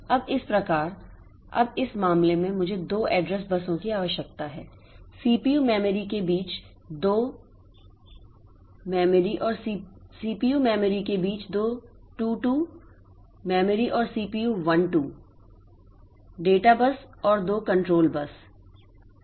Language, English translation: Hindi, Now, that now in this case I need to have two address buses, two data buses and two control buses between the CPU 1 to memory and CPU 2 to memory